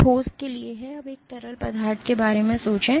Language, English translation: Hindi, So, this is for a solid, now think of a fluid let us assumed